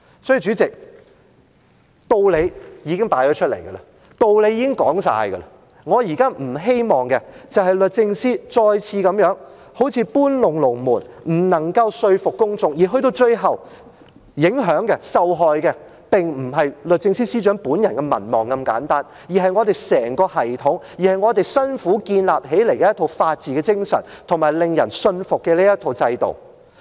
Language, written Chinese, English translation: Cantonese, 所以，主席，道理已經擺在眼前，道理已經說完，我現在不希望律政司再次搬龍門，不能夠說服公眾，而去到最後，影響及受害的並非律政司司長本人的民望這麼簡單，而是整個系統及我們辛苦建立的一套法治精神，以及令人信服的制度。, Therefore President now that the reasons have been fully explained in front of everyone I do not want the Secretary for Justice to move the goalposts again . If she cannot convince the public what will be ultimately affected and undermined is not simply the Secretary for Justices own popularity rating but the whole system and the spirit of the rule of law which we have worked very hard to foster as well as a compelling institution